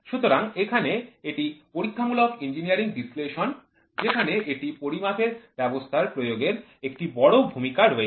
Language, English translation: Bengali, So, here this is Experimental Engineering Analysis where the application of a measuring system comes in a big way